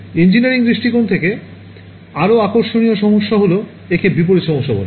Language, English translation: Bengali, From an engineering point of view, the more interesting problem is what is called the inverse problem